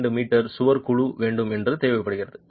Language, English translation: Tamil, 2 meter wall panel on which you are working